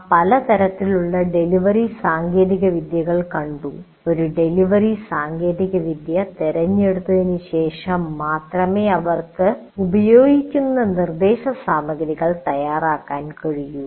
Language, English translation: Malayalam, So we looked at the various delivery technologies and you have to make the choice of the delivery technology and then only you can actually prepare your instruction material